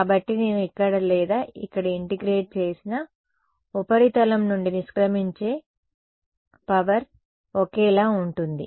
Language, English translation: Telugu, So, I whether I integrate here or here the power that is leaving the surface going to be the same